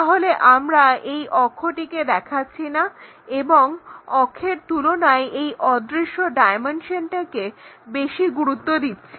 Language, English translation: Bengali, So, we do not show that axis and give preference more for this invisible dimension than for the axis